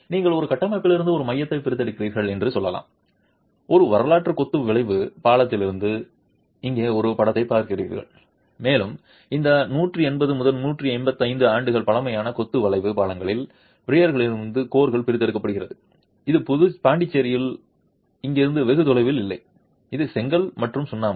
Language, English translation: Tamil, You see a picture here from a historical masonry arch bridge and a core is being extracted from the piers of this 180, 185 year old masonry arch bridge not very far from here in Pondicherry and this is brick and lime